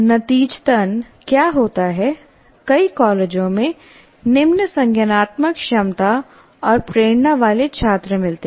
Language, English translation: Hindi, So as a result what happens is many colleges can find the students with very poor cognitive abilities and motivations